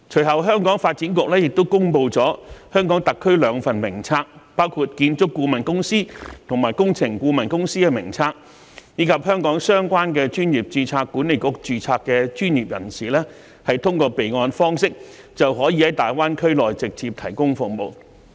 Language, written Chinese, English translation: Cantonese, 香港的發展局其後亦公布香港特區兩份名冊，包括建築顧問公司和工程顧問公司的名冊，讓香港相關專業註冊管理局的註冊專業人士可通過備案方式，在大灣區內直接提供服務。, The Development Bureau subsequently drew up two lists of related companies in the Hong Kong Special Administrative Region namely the list of architectural consultants and the list of engineering consultants so that professionals registered with relevant registration boards in Hong Kong may directly provide services in the Guangdong - Hong Kong - Macao Greater Bay Area through a registration system